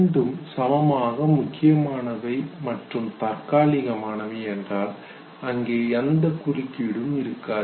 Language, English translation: Tamil, If both are equally significant and temporary there is not much of a difference there could be interference